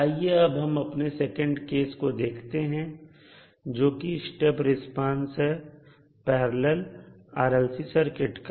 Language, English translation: Hindi, Now, let us move on to the second case that is step response for a parallel RLC circuit